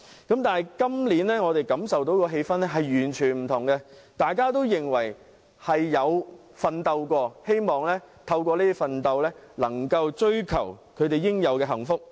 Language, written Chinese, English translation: Cantonese, 但是，今年我們感受到的氣氛完全不同，大家認為自己曾經奮鬥，希望追求應有的幸福。, We can feel that the atmosphere this year is quite the contrary . People want to pursue their deserved happiness as they believe that they have worked hard for it